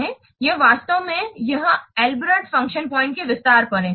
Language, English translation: Hindi, It is built on, it is actually an extension of this Albreast function points